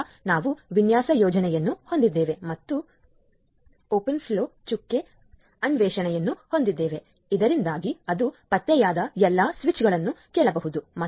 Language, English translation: Kannada, Then we have the design scheme then open flow dot discovery so, that it can listen to all the switches whichever is been discovered